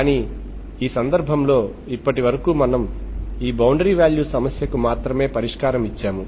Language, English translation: Telugu, But in this case, so far we have only given a solution, solution for this boundary value problem